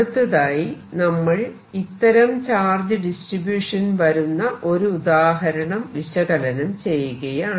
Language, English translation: Malayalam, we are now going to solved an example for a given charge distribution